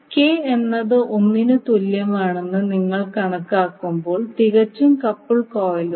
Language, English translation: Malayalam, So if k is 1, we will say that the circuit is perfectly coupled